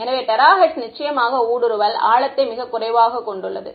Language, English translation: Tamil, So, terahertz of course, has much less penetration depth